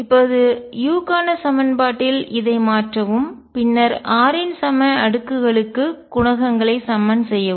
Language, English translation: Tamil, Substitute this in the equation for u, then equate coefficients for the equal powers of r